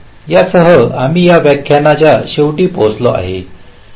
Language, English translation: Marathi, so with this ah, we come to the end of this lecture